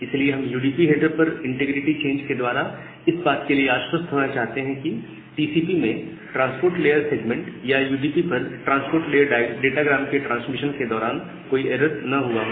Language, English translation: Hindi, So, we want to make sure through this integrity change at the UDP header that no such error has been occurred during the transmission of the transport layer segment or in TCP or the transport layer datagram at UDP